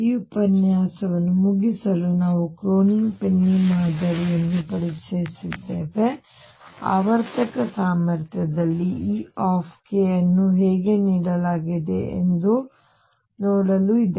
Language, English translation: Kannada, So, to conclude this lecture we have introduced Kronig Penney Model to see how e k is given in a periodic potential, right